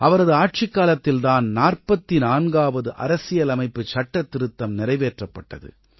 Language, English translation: Tamil, During his tenure, the 44th constitutional amendment was introduced